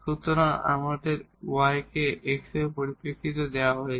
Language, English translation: Bengali, So, we have y is given in terms of x no other implicit relation